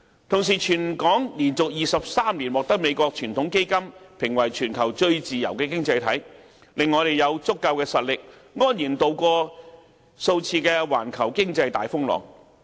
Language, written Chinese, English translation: Cantonese, 同時，香港連續23年獲美國傳統基金會評為全球最自由的經濟體，令我們有足夠實力，安然渡過數次環球經濟大風浪。, Also the World Heritage Foundation in the United States has ranked Hong Kong as the worlds freest economy for 23 consecutive years . Hong Kong is thus able to ride out several global economic crises